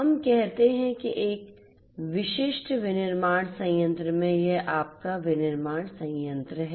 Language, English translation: Hindi, Let us say that in a typical manufacturing plant let us say that this is your manufacturing plant